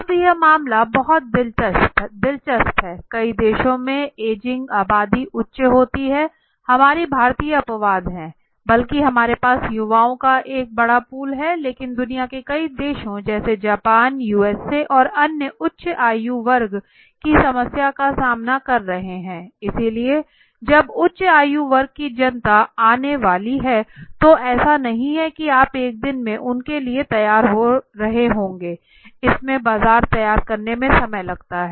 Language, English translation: Hindi, Now this is a case very interesting now many of the countries you will see that the ageing population is becoming a higher and higher right, our Indian been exception where rather we have a large pool of youngsters but many of the countries in the world like Japan, USA and others they are facing a problem of age group higher age group right, so when a higher age group public is going to come it is not that in a day you will be getting ready for them right so it takes time to prepare the market